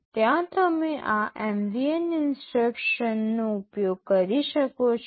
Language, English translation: Gujarati, There you can use this MVN instruction